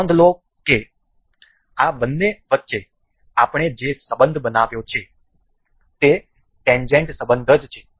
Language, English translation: Gujarati, Note that the only relation we have made between these two are the tangent relation